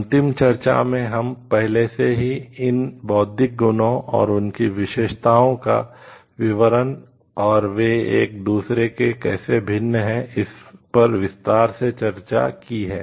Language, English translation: Hindi, In the last discussion, we have already discussed about these in details about the details of these intellectual properties and there characteristics and how they are different from each other